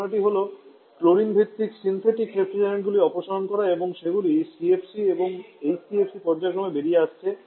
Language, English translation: Bengali, The ideas to remove chlorine based a synthetic refrigerant that is why CFC and HCFC is being faced out